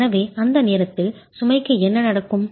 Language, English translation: Tamil, So, what happens to the load at that point